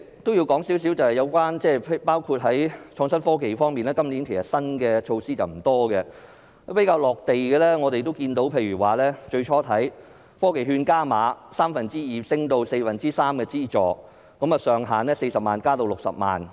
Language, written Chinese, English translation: Cantonese, 我也想談談有關創新科技方面，今年新措施並不多，比較"落地"的例子是科技券加碼，資助由三分之二提升至四分之三，上限由40萬元增至60萬元。, I would also like to talk about innovation and technology . Not many new measures have been put forward this year . Among them the more down - to - earth example is the enhancement of the Technology Voucher Programme TVP by raising the funding ratio from two thirds to three quarters and the funding ceiling from 400,000 to 600,000